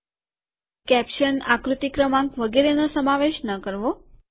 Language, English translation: Gujarati, Do not include caption, figure number etc